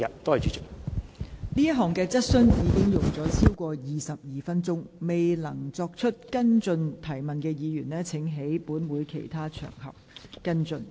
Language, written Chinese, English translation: Cantonese, 本會就這項質詢已用了超過22分鐘，未能提出補充質詢的議員請在其他場合跟進。, We have spent more than 22 minutes on this question Members who could not raise supplementary question may follow up on other occasions